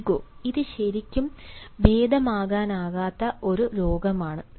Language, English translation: Malayalam, ego: this is really a disease which is incurable